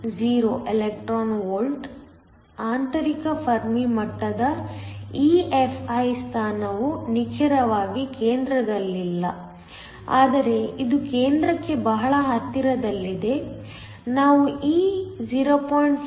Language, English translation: Kannada, 10 electron volts the position of the intrinsic Fermi level EFi it is not exactly at the center, but it is very close to the center, we can take this 0